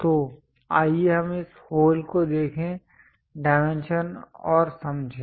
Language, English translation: Hindi, So, let us look at this hole, the dimensions and understand that